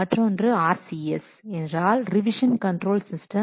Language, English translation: Tamil, Another is RCS that is that stands for a revision control system